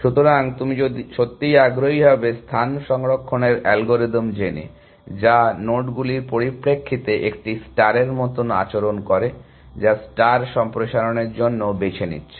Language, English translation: Bengali, So, what you would be really interested in is space saving algorithms, which behave more like A star in terms of the nodes that they are picking for expansion as well